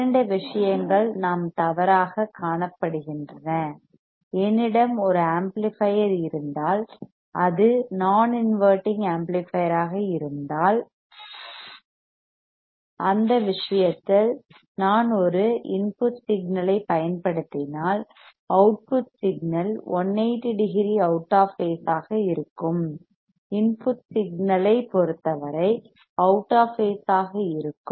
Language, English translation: Tamil, two things we are seen incorrect; then we have seen that if I have an amplifier which is an inverting amplifier, in that case if I apply an input signal the output signal will be out of phase with respect to input signal that is 180 degree out of phase